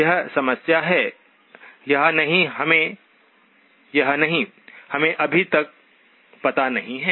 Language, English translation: Hindi, Whether it is the problem or not, we do not know yet